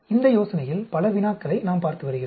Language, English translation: Tamil, We have being looking at many problems in this idea